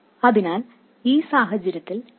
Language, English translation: Malayalam, So then in this case this number will be 1